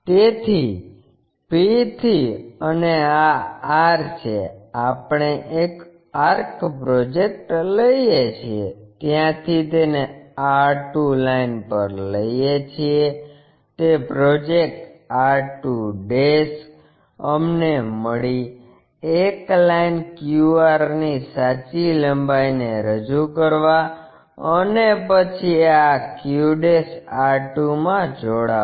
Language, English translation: Gujarati, So, from p and this is r we take a arc project it to r 2 line from there project it r2' we got it, and then join this q' r2' to represent true length of a line qr